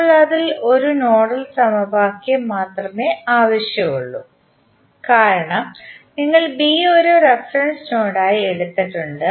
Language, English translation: Malayalam, Now, out of that only one nodal equation is required because you have taken B as a reference node